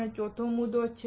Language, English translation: Gujarati, What is our fourth point